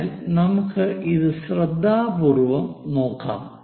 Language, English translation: Malayalam, So, let us look at it carefully